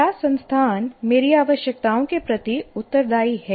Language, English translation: Hindi, And is the institution responsive to my needs